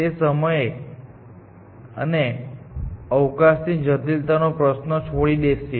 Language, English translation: Gujarati, That leaves the question of time and space complexity